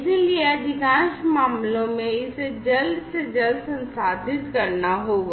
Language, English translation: Hindi, So, it has to be processed as quickly as possible in most of the cases